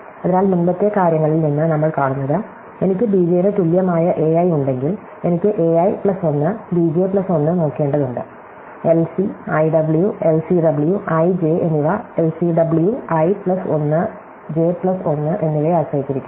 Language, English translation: Malayalam, So, what we saw from the earlier thing is that if I have a i equal to b j, I need to look at a i plus 1, b j plus 1, so LC, IW, LCW i j depends on LCW i plus 1, j plus 1